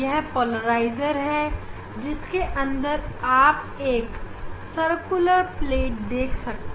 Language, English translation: Hindi, this is the polarizer, so inside you are seeing these on circular plate